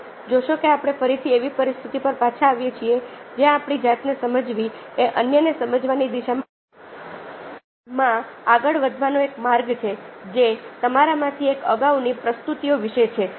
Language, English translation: Gujarati, so see that, ah, again we come back to the situation where understanding our self is a way moving in the direction of understanding others, which is what one of you earlier presentations is about